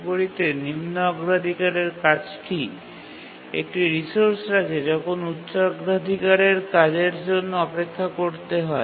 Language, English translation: Bengali, Here when a lower priority task is holding a resource, a higher priority task has to wait until the lower priority task releases the resource